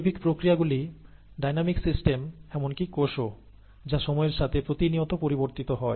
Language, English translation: Bengali, Biological systems are dynamic systems, including the cell, they change with time all the all the time